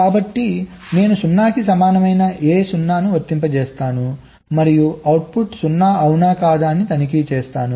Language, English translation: Telugu, i apply a zero equal to one and check whether the output is one or not